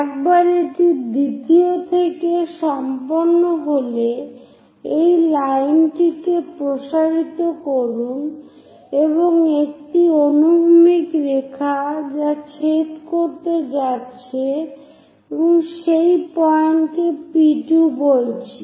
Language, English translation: Bengali, Once it is done from second, extend a line and a horizontal line where it is going to intersect locate point P2